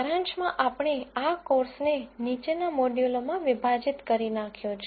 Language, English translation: Gujarati, In summary we broke down this course into the following modules